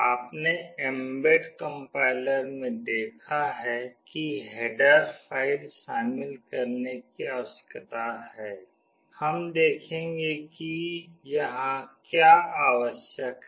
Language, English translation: Hindi, You have seen in mbed compiler we need to include a header file, we will see what is required here